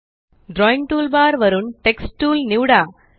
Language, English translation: Marathi, From the Drawing toolbar, select the Text Tool